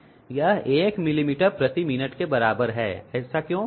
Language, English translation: Hindi, That is equal to 1 millimetre per minute, why so